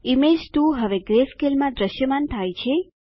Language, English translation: Gujarati, Image 2 is now displayed in greyscale